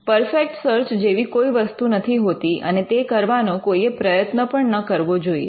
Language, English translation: Gujarati, And there is no search thing as a perfect search, and a perfect search is not something which anybody should even endeavor to do